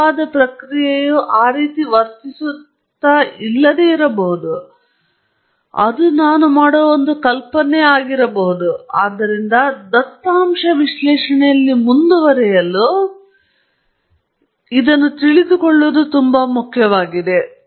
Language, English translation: Kannada, The true process may not be behaving that way; it is an assumption that I am making, so as to move forward in data analysis; that’s very, very important